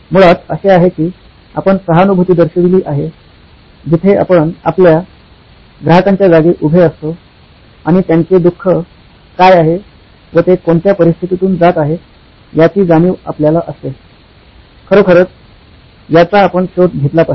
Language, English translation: Marathi, It is basically that you have empathised, where you put yourself into the shoes of your customer and know their suffering to what is it that they are going through, really find out